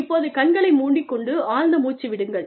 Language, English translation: Tamil, Close your eyes, and take a deep breath